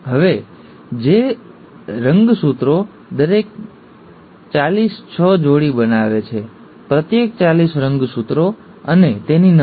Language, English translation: Gujarati, Now if these chromosomes, each forty six pair; each forty six chromosome and its copy